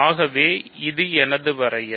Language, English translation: Tamil, So, this is my definition